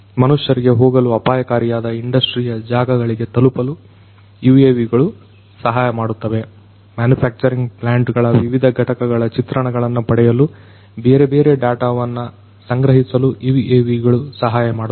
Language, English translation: Kannada, UAVs could help in reaching out to areas in the industries, which could be hazardous for human beings to go UAVs could help in collecting different data for acquiring different images of different units in a manufacturing plant